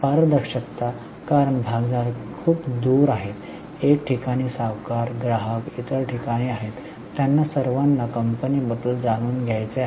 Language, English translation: Marathi, Transparency because shareholders are far away, lenders are at one place, customers are at other place